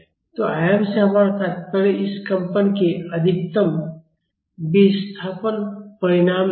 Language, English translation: Hindi, So, by amplitude we mean the maximum displacement magnitude of this vibrations